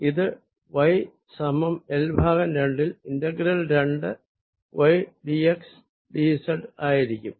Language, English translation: Malayalam, at y equals l by two and this is at y equals minus l by two